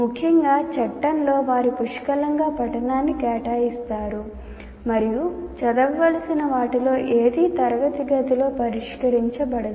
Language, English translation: Telugu, They, we have seen, especially in law, they will assign plenty of reading and nothing of what is to be read will be addressed in the classroom